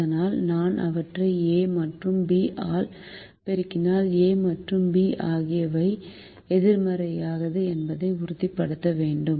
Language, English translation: Tamil, at the moment i don't know b and a and b, but if i multiply them by a and b and i have to make sure that a and b are non negative